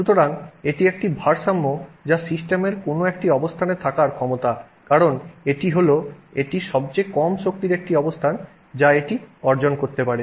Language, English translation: Bengali, That is the ability of the system to just sit because that is the lowest energy state it can attain